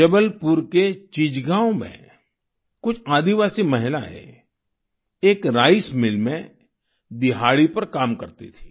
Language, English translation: Hindi, In Chichgaon, Jabalpur, some tribal women were working on daily wages in a rice mill